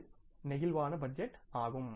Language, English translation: Tamil, What is the flexible budget